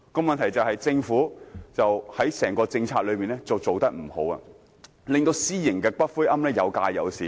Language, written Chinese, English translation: Cantonese, 問題在於政府在推行整個政策時做得不好，令私營骨灰龕位有價有市。, The problem is since the Government has performed poorly in implementing the entire policy the demand for private niches is great and the price is high